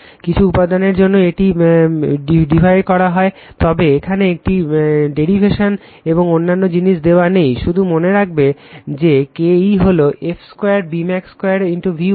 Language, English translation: Bengali, For some material, it can be derived, but here this is your what to call we are not giving that derivation and other thing, just you keep it in your mind that K e is the f square B max square into V watt